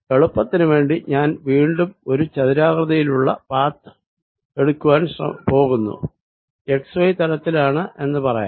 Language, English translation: Malayalam, for simplicity again, i am going to take a rectangular path, let us say in the x y plane